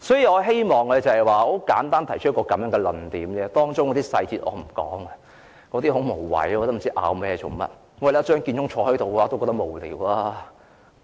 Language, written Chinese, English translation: Cantonese, 我希望簡單提出這個論點，我不想談及無謂的、無須爭辯的細節，張建宗坐在這裏也感到無聊。, I would like to raise this point in a simple way and do not want to talk about unimportant details which are beyond dispute to bore Mr Matthew CHEUNG who is sitting here